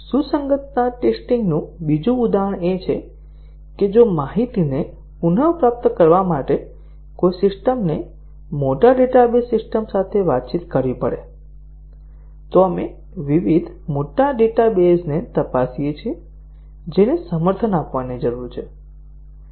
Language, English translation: Gujarati, Another example of a compatibility testing is that if a system has to communicate with a large database system to retrieve information, we check various large databases that needs to be supported